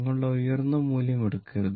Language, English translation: Malayalam, Do not take your peak value right